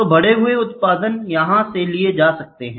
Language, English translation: Hindi, So, the amplified output can be taken from here, ok